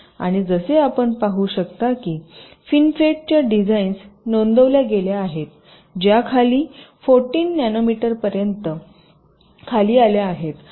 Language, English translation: Marathi, and as you can see, fin fet has design such been reported which has gone down up to fourteen nanometer